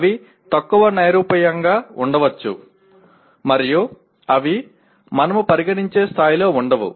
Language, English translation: Telugu, They may be less abstract and they will not be at the same level as we would consider